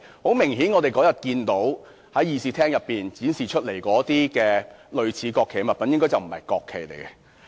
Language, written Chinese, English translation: Cantonese, 很明顯，我們那天看到在議事廳展示的那些類似國旗的物品，應該不是國旗。, Obviously what we saw displayed in the Chamber that day similar to the national flag should not be a national flag